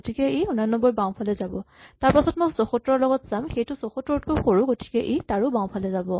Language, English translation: Assamese, So, it goes to the left of 89 then I look at 74 it is smaller than 74 it goes to the left of that